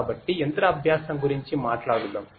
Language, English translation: Telugu, So, let us talk about machine learning